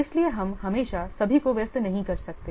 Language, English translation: Hindi, So, we cannot make busy all the persons always